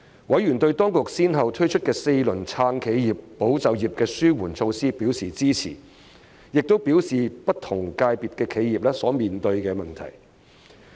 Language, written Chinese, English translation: Cantonese, 委員對當局先後推出的4輪"撐企業"、"保就業"的紓困措施表示支持，並表達不同界別的企業所面對的問題。, Members expressed support for the authorities four packages of helping measures to support enterprises and safeguard jobs and raised the issues faced by enterprises from different sectors